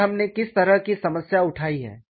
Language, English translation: Hindi, And what is the kind of problem that we have taken